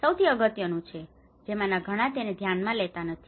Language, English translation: Gujarati, This is the most important which many of them does not look into it